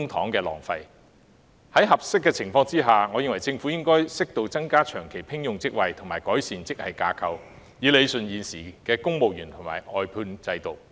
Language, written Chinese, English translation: Cantonese, 如情況合適的話，我認為政府應適度增加長期聘用職位及改善職系架構，以理順現時公務員的聘用和外判制度。, I am of the view that the Government should increase the number of permanent posts to a suitable level and improve the grade structure as appropriate in a bid to rationalize the existing practice of civil service recruitment and government outsourcing system